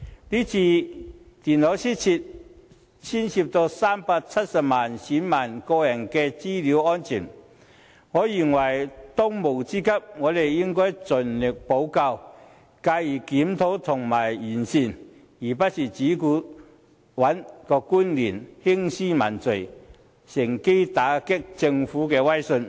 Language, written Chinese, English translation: Cantonese, 這次電腦失竊涉及370萬名選民的個人資料安全，我認為當務之急是盡力補救，繼而檢討和完善，而不是只顧找官員興師問罪，趁機打擊政府的威信。, The loss of notebook computers involves the security of the personal data of 3.7 million electors . In my opinion the most pressing issue is to remedy the problems followed by reviews and optimization of future arrangement but not focusing only on punishing the officials in a bid to grasp this chance to undermine the Governments credibility